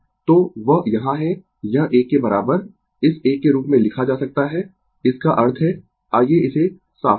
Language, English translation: Hindi, So, that is here this one is equal to is written as this one right; that means, ah let me clear it